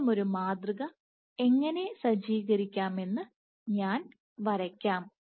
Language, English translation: Malayalam, So, let me draw how such a model might be set up